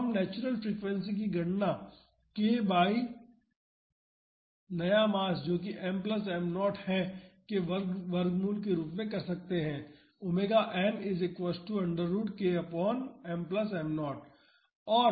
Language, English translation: Hindi, So, we can calculate the natural frequency as root of k by the new mass that is m plus m naught